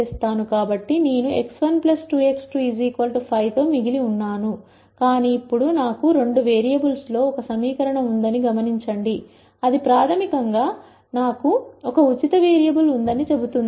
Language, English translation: Telugu, So, I am just left with x 1 plus 2 x 2 equal to 5, but now notice that I have one equation in two variables, that basically tells me I have one free variable